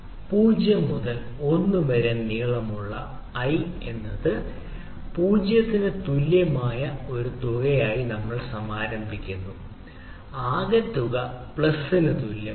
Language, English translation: Malayalam, we initialize a sum equal to zero, right for i in range zero to length of l, ok, sum equal to sum plus